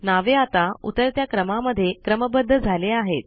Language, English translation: Marathi, The names are now sorted in the descending order